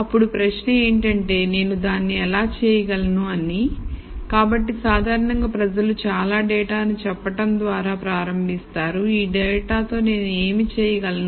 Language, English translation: Telugu, So, the question then is how do I do it, so typically people start by saying lots of data what is it I can do with this data